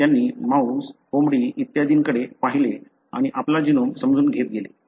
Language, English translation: Marathi, They looked at mouse, rat, chicken and so on and go on to understand our genome